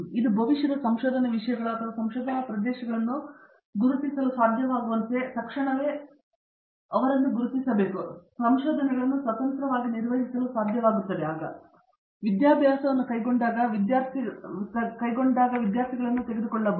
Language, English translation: Kannada, That immediately sets him the goals for his future research as far, so can identify research topics or research areas to work on and then of course, he is able to carry out research independently so that he can take up students when we go and takes academic carrier especially